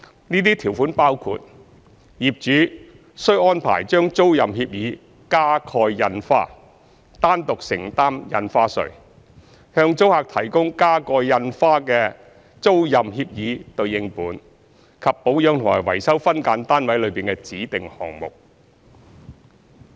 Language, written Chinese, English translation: Cantonese, 這些條款包括：業主須安排將租賃協議加蓋印花、單獨承擔印花稅、向租客提供加蓋印花的租賃協議對應本，以及保養和維修分間單位內的指定項目。, These terms include The landlord must cause the tenancy agreement to be stamped and the stamp duty shall be borne by the landlord solely; provide the tenant with a counterpart of the stamped tenancy agreement; and maintain and keep in repair the specified items in the SDU